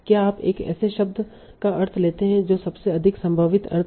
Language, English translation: Hindi, That is you take the sense of a word that is most probable sense